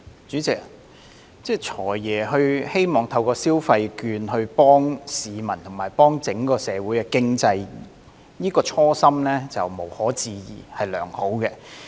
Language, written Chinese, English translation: Cantonese, 主席，"財爺"希望透過消費券幫助市民及整個社會經濟，這個初心無可置疑是良好的。, President the Financial Secretary wishes to help the public and the overall economy through the consumption vouchers . The original intention is undoubtedly good